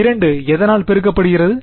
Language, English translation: Tamil, 2 multiplied by what